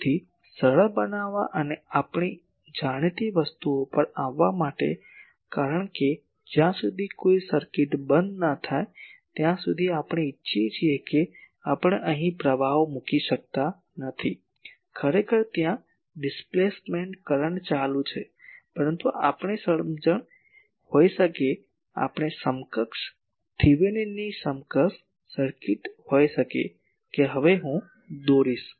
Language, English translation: Gujarati, So, to simplify and to come to our known things, because we want unless until the circuit is closed with we cannot put the currents here, actually there is displacement current going on but to have our understanding, we can have a equivalent Thevenin’s equivalent circuit that I will draw now